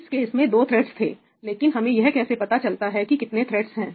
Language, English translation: Hindi, in this case the number of threads was two, but how do we know what is the number of threads